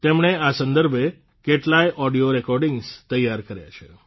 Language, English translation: Gujarati, He has also prepared many audio recordings related to them